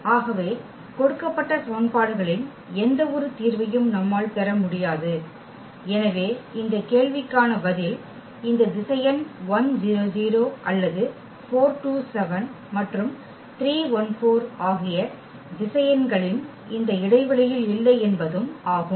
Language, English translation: Tamil, So, we cannot get any solution of this given a system of equations and therefore, the answer to this question is that this vector 1, 0, 0 or does not lie in this span of the vectors 4, 2, 7 and 3, 2, 4